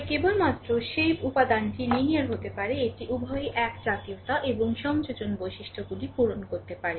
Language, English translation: Bengali, Then only you can say that element is linear it has to satisfy both homogeneity and additivity properties right